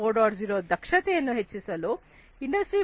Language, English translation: Kannada, 0, improving efficiency in the Industry 4